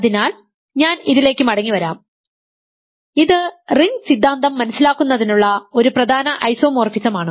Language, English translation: Malayalam, So, I will come back to this, this is an important isomorphism to understanding ring theory